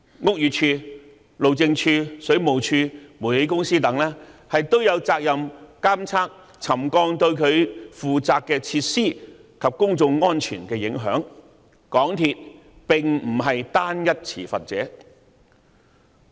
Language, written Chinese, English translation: Cantonese, 屋宇署、路政署、水務處和煤氣公司等也有責任監測沉降對各自負責的設施及公眾安全的影響，港鐵公司並非單一持份者。, The Buildings Department the Highways Department the Water Supplies Department and the Towngas all have the responsibility for monitoring the effects of settlement on their respective facilities and public safety and MTRCL is not the only party involved